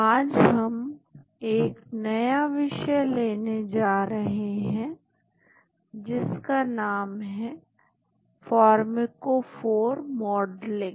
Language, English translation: Hindi, Today we are going to take up a new topic, it is called pharmacophore modeling